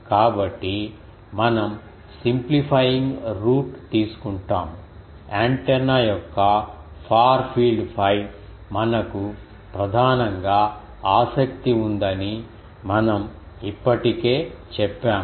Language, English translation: Telugu, So, we will take a simplifying root, we have already say that we are mainly interested in the far field of the antenna